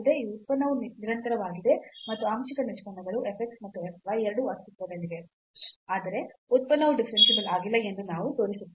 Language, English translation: Kannada, So, this is one example, we will show that this function is continuous and the partial derivatives exist both f x and f y, but the function is not differentiable